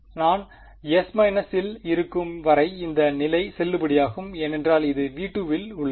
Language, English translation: Tamil, As long as I am in S minus this condition is valid because its in V 2 right